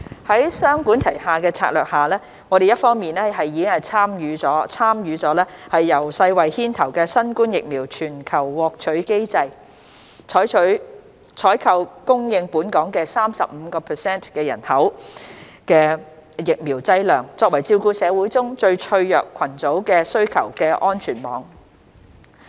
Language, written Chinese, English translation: Cantonese, 在雙管齊下的策略下，我們一方面已參與由世衞牽頭的新冠疫苗全球獲取機制，採購供應本港 35% 人口的疫苗劑量，作為照顧社會中最脆弱群組的需求的安全網。, Under the two - pronged approach we have on the one hand joined the COVAX Facility led by WHO to procure vaccine doses for 35 % of the Hong Kong population as a form of safety net to cater for the needs of the most vulnerable groups in society